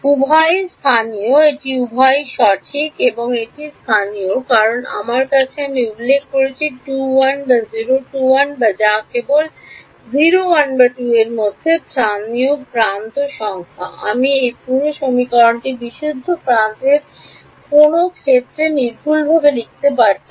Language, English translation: Bengali, Both are local right both this and this are local because I have the I have mentioned 2 1 or 0 2 1 that is only 0 1 or 2 those are the local edge numbers I could have written these whole equation purely in terms of global edges also